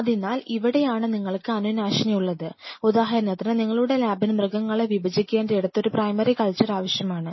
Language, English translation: Malayalam, So, this is where you have the disinfect and everything see for example, your lab has a primary culture needed